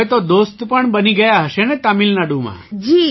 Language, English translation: Gujarati, So now you must have made friends in Tamil Nadu too